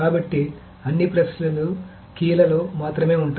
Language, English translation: Telugu, So all the queries are on the keys only